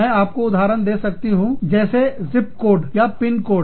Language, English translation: Hindi, I can give you, you know, the example of, say, the zip codes or pin codes